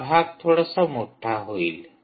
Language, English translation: Marathi, it will little bigger